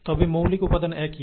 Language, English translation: Bengali, But, the basic material is the same